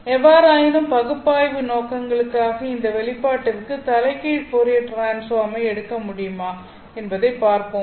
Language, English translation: Tamil, However, for analytical purposes, let us try to see whether we can take the inverse Fourier transform this of this expression